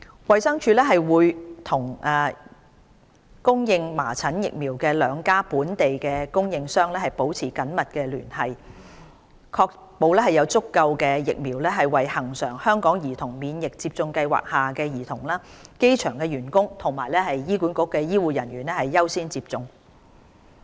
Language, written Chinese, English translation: Cantonese, 衞生署會與供應麻疹疫苗的兩家本地供應商保持緊密聯繫，確保有足夠疫苗為恆常香港兒童免疫接種計劃下的兒童、機場員工及醫管局醫護人員優先接種。, The Department of Health will maintain close liaison with two vaccines suppliers to strive for a steady supply to the children under the routine Hong Kong Childhood Immunisation Programme HKCIP people working at the airport health care staff at HA who have higher priority for measles vaccination